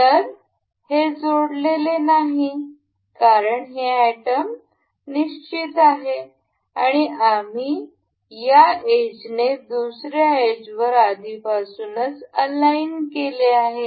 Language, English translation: Marathi, So, it is not mated because this item is fixed and we have already aligned this edge with the edge of this